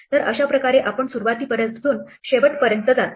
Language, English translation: Marathi, So, in this way we go from beginning to the end